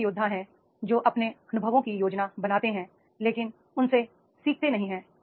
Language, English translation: Hindi, There are the various who plan their experiences but tend not to learn from them, right